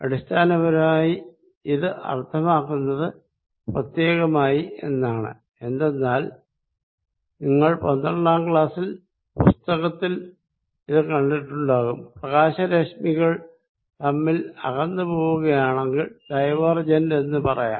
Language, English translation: Malayalam, So, what basically it means is particularly, because you may have seen it in your 12th grade book, if light rays are going away from each other, we say light rays are diverging, if people have differing views we will say they have divergent views